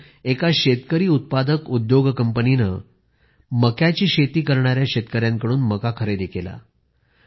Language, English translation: Marathi, There, one farmer producer company procured corn from the corn producing harvesters